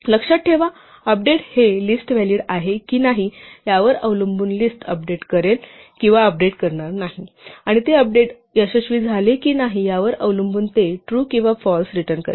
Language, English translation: Marathi, Remember update will update the list or not update the list depending on whether the index is valid and it will return true or false depending on whether they update succeeded